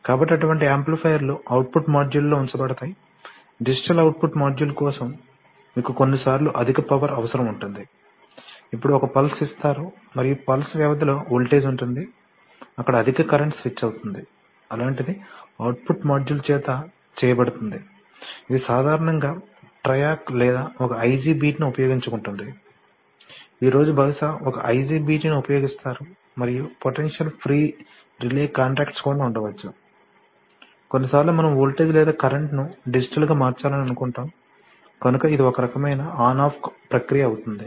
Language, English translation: Telugu, So such amplifiers will be put on output modules, for digital output modules, you know sometimes they will require high power, you will just give a pulse and you will require that, during the duration of the pulse there will be a voltage, there will be high current will be switched, so that, such a thing will be done by the output module, it is typically let us say using TRIAC or maybe an IGBT, today one would like to probably use an IGBT and there could also be potential free relay contacts, you know that is sometimes we do that, we can do, suppose you want to switch a voltage or current because it is digital, so it has to be on off kind of thing